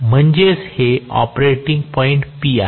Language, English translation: Marathi, So, this is the operating point P, this is the operating point P